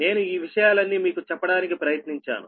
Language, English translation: Telugu, i have tried all these things to tell you right